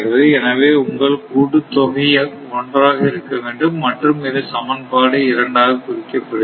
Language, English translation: Tamil, So, that is your summation should be 1, this is marked as equation 2 right